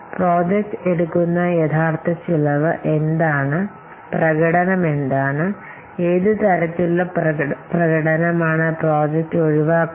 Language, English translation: Malayalam, So, what is the actual cost that the project takes and what is the performance, what kind of performance the project is keeping